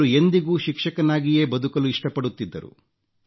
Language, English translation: Kannada, He was committed to being a teacher